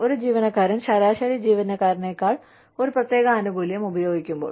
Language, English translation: Malayalam, When an employee uses a specific benefit, more than the average employee does